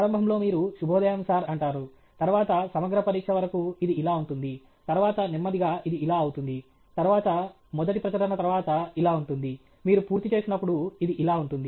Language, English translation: Telugu, Initially, you will say good morning Sir, then till compri it is like this; then, slowly it will become like this; then, first paper it is like this; when you are finishing, it is like this okay